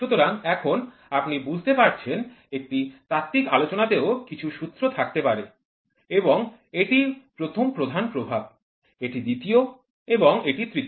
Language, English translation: Bengali, So, now, you can it the theoretical one can even come out with the formulas and this is the first major influence, this is the second and this is the third